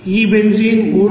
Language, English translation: Telugu, We are having these benzene is 368